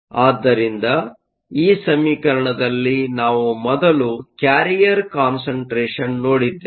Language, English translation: Kannada, So, in this equation, the first thing we looked at is the carrier concentration